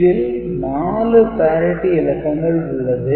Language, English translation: Tamil, So, 4 parity bits will be required